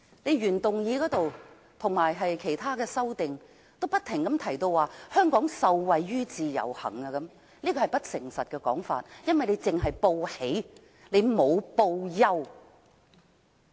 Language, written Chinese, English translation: Cantonese, 原議案及各項修正案均指香港受惠於自由行，是不誠實的說法，因為只報喜而不報憂。, The original motion and various amendments all highlight that Hong Kong has benefited from IVS but such a remark is dishonest and has withheld some unpleasant information